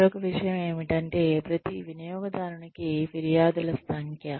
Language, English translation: Telugu, The other thing is, or the number of complaints, per customer